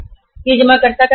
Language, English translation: Hindi, This is the depositor’s money